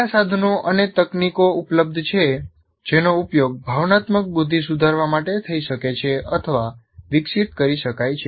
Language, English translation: Gujarati, And what are the tools and techniques that are available or that can be used or to be developed for improving emotional intelligence